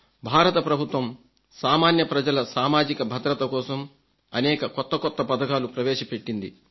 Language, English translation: Telugu, The government of India has launched various schemes of social security for the common man